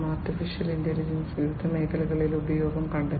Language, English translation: Malayalam, Artificial Intelligence has found use in different diverse fields